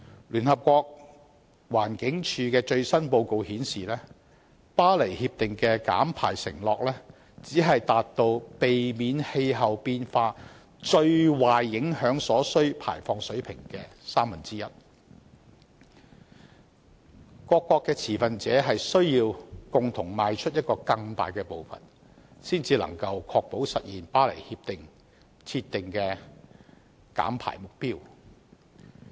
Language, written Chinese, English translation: Cantonese, 聯合國環境規劃署的最新報告顯示，《巴黎協定》的減排承諾只是達到避免氣候變化最壞影響所需減排水平的三分之一，各持份者需要共同邁出更大的步伐，才能確保實現《協定》設定的減排目標。, According to the latest report of the United Nations Environment Programme the pledges for emission reduction made under the Paris Agreement are only a third of what is required to pre - empt the worst impacts of climate change and stakeholders have to take greater strides in concert to ensure that the emission reduction targets of the Paris Agreement will be achieved